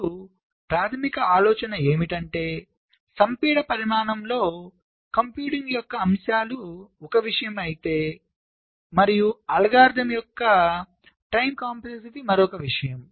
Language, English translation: Telugu, now, the basic idea is that when we say aspects of computing, of compaction, dimension is one thing and, of course, the time complexity of the algorithm is another thing